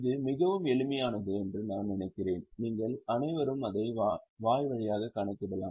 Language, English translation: Tamil, I think it is very simple so all of you can calculate it orally